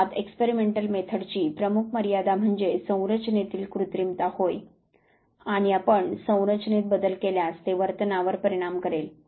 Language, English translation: Marathi, The major limitation of experimental research of course is an artificiality of the setting, and if you make changes in the setting it might influence behavior